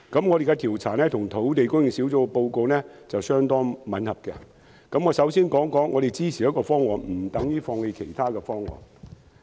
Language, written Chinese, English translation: Cantonese, 我們的調查結果與土地供應專責小組的報告相當吻合，但我首先想指出，我們支持一個方案，不等於放棄其他方案。, Our survey findings greatly tally with the report of the Task Force on Land Supply . However before everything else I wish to point out that our support for one proposal does not mean we give up others